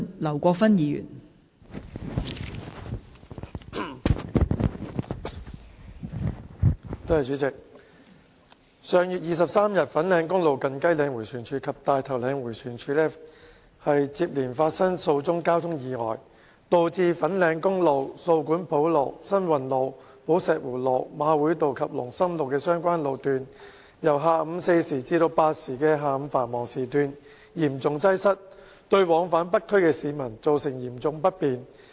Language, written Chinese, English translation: Cantonese, 代理主席，上月23日，粉嶺公路近雞嶺迴旋處及大頭嶺迴旋處接連發生數宗交通意外，導致粉嶺公路、掃管埔路、新運路、寶石湖路、馬會道及龍琛路的相關路段由下午四時至八時的下午繁忙時段嚴重擠塞，對往返北區的市民造成嚴重不便。, Deputy President on the 23 of last month several traffic accidents happened successively at Fanling Highway near Kai Leng Roundabout and Tai Tau Leng Roundabout leading to severe congestion on the relevant sections of Fanling Highway So Kwun Po Road San Wan Road Po Shek Wu Road Jockey Club Road and Lung Sum Avenue during afternoon rush hours from 4col00 pm to 8col00 pm which in turn caused serious inconvenience to members of the public commuting to and from the North District